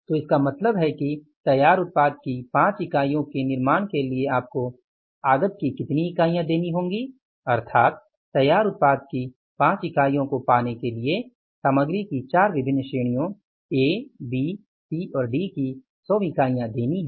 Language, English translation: Hindi, So, it means for manufacturing the 5 units of the finished product you have to give how many units of the input that is the 100 units of the input of the 4 different categories of materials A, B, C and D to get the 5 units of the output